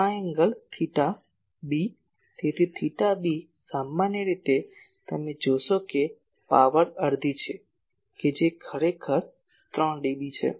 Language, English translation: Gujarati, This angle theta b , so theta b generally, you see p if power is half that is actually 3 dB